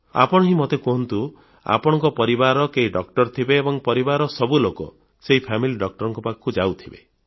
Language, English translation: Odia, You tell me, you must be having a family doctor to whom all the members of your family must be going whenever needed